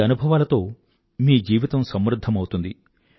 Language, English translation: Telugu, These experiences will enrich your lives